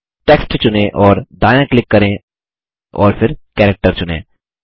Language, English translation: Hindi, Select the text and right click then select Character